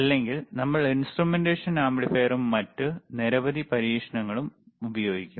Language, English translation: Malayalam, Or we have to use the instrumentation amplifier, and lot of other experiments